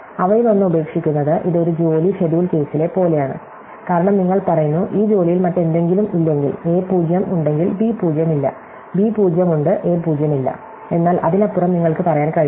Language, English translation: Malayalam, So, dropping one of them, it is like in a job scheduling case, where you say that, if this job with this something else is not there, if a 0 is there, b 0 is not there, b 0 is there, a 0 is not there, but beyond that you cannot say